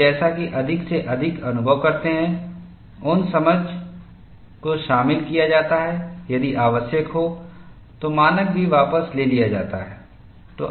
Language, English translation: Hindi, People, as more and more experience pour in, those understandings are incorporated, if necessary, even the standard is withdrawn